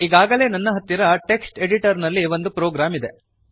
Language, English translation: Kannada, I already have a program in a text editor